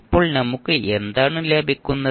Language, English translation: Malayalam, Now what we get